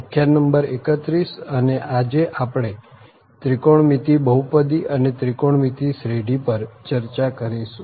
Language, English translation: Gujarati, Lecture number 31 and today we will discuss on trigonometric polynomials and trigonometric series